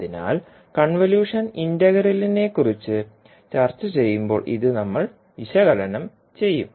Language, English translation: Malayalam, So, this we will analyze when we'll discuss about convolution integral